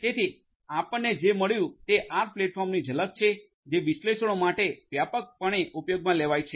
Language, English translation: Gujarati, So, what we have got is a glimpse of the R platform which is widely used for analytics